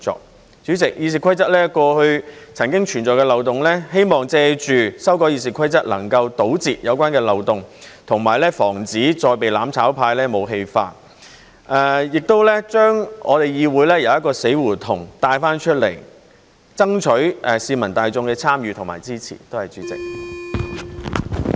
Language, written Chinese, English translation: Cantonese, 代理主席，《議事規則》過去曾經存在漏洞，希望藉着修改《議事規則》能夠堵塞有關的漏洞，以及防止再被"攬炒派"武器化，亦將我們的議會由死胡同中帶出來，爭取市民大眾的參與和支持。, Deputy President there used to be loopholes in RoP . It is hoped that by amending RoP we can plug the loopholes and prevent the mutual destruction camp from weaponizing RoP again as well as bring the Council out of the dead - end situation and strive to gain the publics participation and support